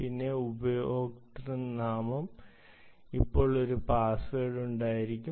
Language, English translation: Malayalam, so then there is username and password